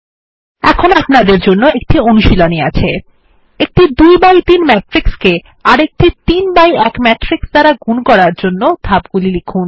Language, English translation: Bengali, Here is an assignment for you: Write steps for multiplying a 2x3 matrix by a 3x1 matrix